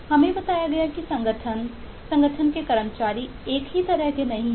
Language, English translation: Hindi, we were told that the organization, the employees in the organization are not of the same kind